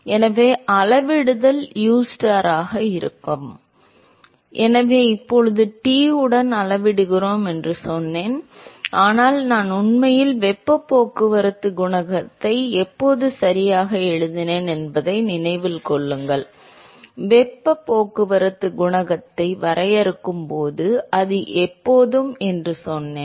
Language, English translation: Tamil, So, that will be so the scaling will be U into ustar, so now, I said that we scale it with Tinfinity, but remember when we actually wrote the heat transport coefficient right, when we define heat transport coefficient we said that its always a function of the temperature of the surface